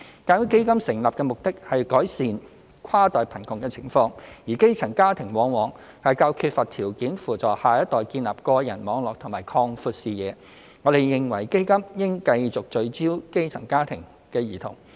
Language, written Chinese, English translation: Cantonese, 鑒於基金成立的目的是改善跨代貧窮的情況，而基層家庭往往較缺乏條件扶助下一代建立個人網絡及擴闊視野，我們認為基金應繼續聚焦基層家庭的兒童。, However given that the objective of the Fund is to alleviate cross - generational poverty and the grass - roots families are often the ones who lack the means to help the next generation build their social networks and broaden their horizons we hold that the Fund should continue to focus on helping grass - roots children